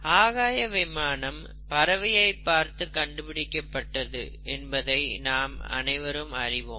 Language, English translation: Tamil, And, all of us know that the airplanes were inspired by a bird flying